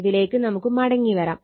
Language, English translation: Malayalam, So, , we will come back to this